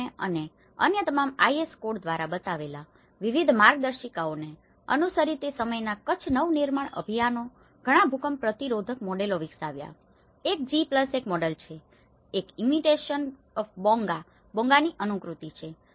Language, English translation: Gujarati, And following various guidelines which we showed by the GSDMA and all others IS codes, Kutch Nava Nirman Abhiyan of that time has developed many of the models earthquake resistant, one is G+1 model, one is the imitation of the Bonga, what you can see is the plinth band, sill band on the roof band